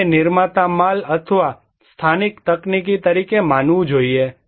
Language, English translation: Gujarati, This should be considered as a producer goods or local technology